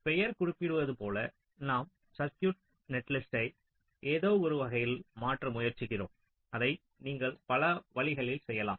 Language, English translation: Tamil, so, as the name implies, we are trying to modify ah circuit netlist in some way and there are many ways in which you can do that